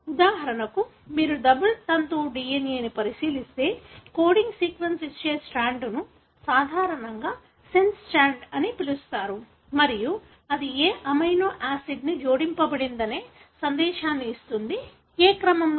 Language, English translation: Telugu, For example, if you look into a double stranded DNA, the strand that gives the coding sequence is normally called as sense strand and that is what gives you the message as to what amino acids are added, in which sequence